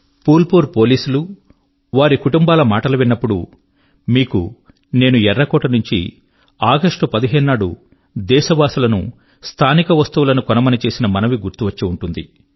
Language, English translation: Telugu, Whenever I hear about the police personnel of Phulpur or their families, you will also recollect, that I had urged from the ramparts of Red Fort on the 15th of August, requesting the countrymen to buy local produce preferably